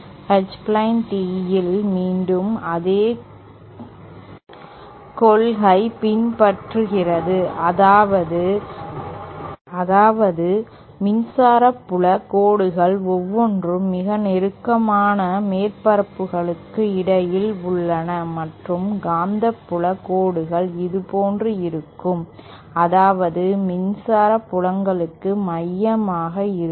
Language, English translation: Tamil, In H plane tee again, the same principle will be followed that the electric field lines are between the surfaces which are closest to each other and the magnetic field lines will be like this, concentric to the electric fields